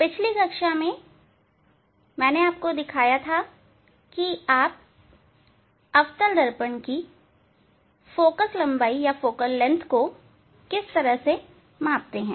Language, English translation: Hindi, In last class I have shown you how to measure the focal length of concave mirror